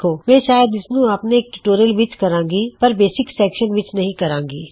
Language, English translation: Punjabi, I will probably do this in one my tutorial not in the basics section though However, this is the basics structure